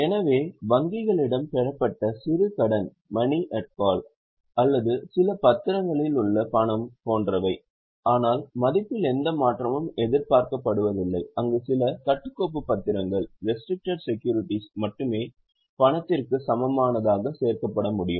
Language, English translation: Tamil, So, something like money at call with banks or money in certain securities but no change of value is expected there, only few restricted securities can be included in cash equivalent